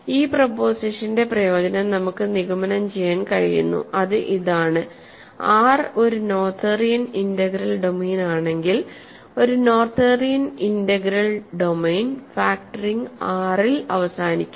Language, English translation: Malayalam, So, the advantage of this proposition is that we have we are able to conclude: if R is a Noetherian integral domain, then in a Noetherian integral domain then factoring terminates in R right